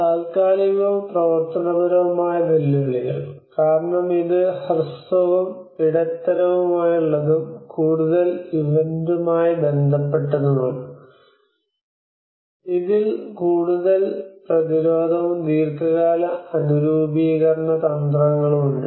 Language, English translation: Malayalam, Temporal and functional challenges; because this is more to do with the short and medium term and mostly to the event related, and this has more of a prevention and also the long term adaptation strategies